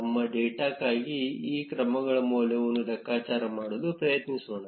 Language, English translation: Kannada, For our data, let us try calculating the value of these measures